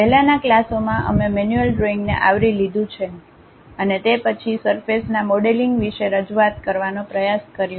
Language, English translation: Gujarati, In the earlier classes, we have covered manual drawing, and also then went ahead try to introduce about surface modeling